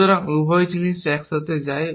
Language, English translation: Bengali, So, both the things go together